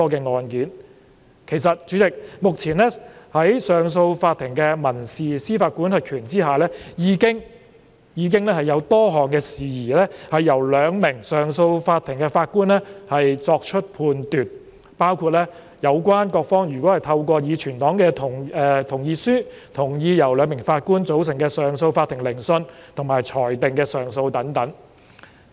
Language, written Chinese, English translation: Cantonese, 主席，其實目前在上訴法庭的民事司法管轄權之下，已經有多項事宜由兩名法官組成的上訴法庭作出判斷，包括有關各方如果透過已存檔的同意書同意由兩名法官組成的上訴法庭聆訊和裁定的上訴等。, President actually a number of matters under the civil jurisdiction of CA are already determined by 2 - Judge CA at present including appeal of which all parties have filed a consent to the appeal being heard and determined by 2 - Judge CA etc